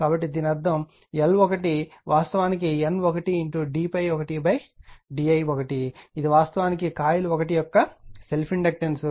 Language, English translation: Telugu, So that means, L 1 is equal to actually L 1 d phi 1 upon d i1 it is actually self inductance of coil 1 right this is self inductance of coil 1